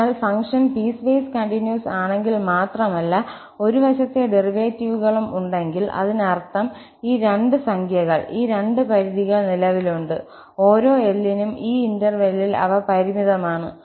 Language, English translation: Malayalam, So, if the function is piecewise continuous and have one sided derivatives, that means these two numbers, these two limits exist, for each L in these respective intervals and they are finite